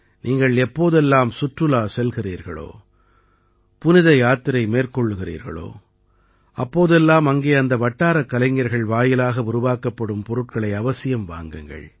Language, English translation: Tamil, Whenever you travel for tourism; go on a pilgrimage, do buy products made by the local artisans there